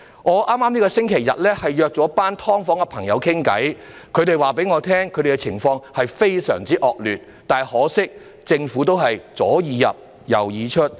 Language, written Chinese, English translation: Cantonese, 我在剛過去的星期天與一群住在"劏房"的人士閒談，他們告訴我他們的居住情況非常惡劣，但可惜，政府仍然是"左耳入，右耳出"。, Last Sunday I had a chat with a group of people living in subdivided units . They told me that their living environment is extremely undesirable but much to our regret the Government is still turning a deaf ear to us